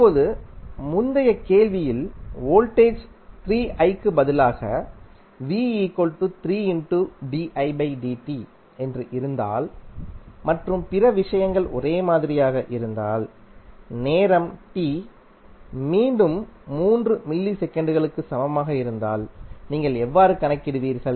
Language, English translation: Tamil, Now, if in the previous problem if voltage is given like 3 di by dt instead of 3i and other things are same and time t is equal to again 3 millisecond